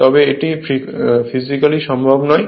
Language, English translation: Bengali, So, it is physically not possible